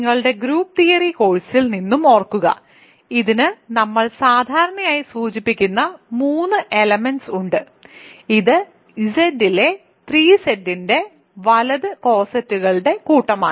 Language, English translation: Malayalam, Remember from your group theory course, this has 3 elements we usually denote them by the it is set of cosets right set of cossets of 3 Z in Z